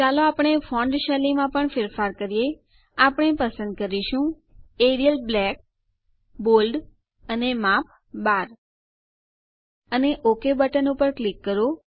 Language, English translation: Gujarati, Let us also change the font style we will choose Arial Black, Bold and Size 12 and click on the Ok button